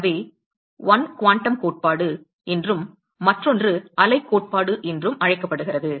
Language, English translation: Tamil, So, 1 is called the quantum theory and other one is called the wave theory